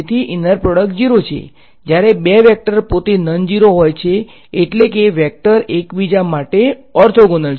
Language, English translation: Gujarati, So, inner product 0 when the two vectors are non zero themselves means are the vectors are orthogonal to each other